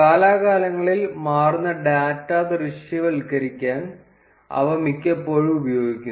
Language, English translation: Malayalam, They are most often used to visualize data, where the data changes over time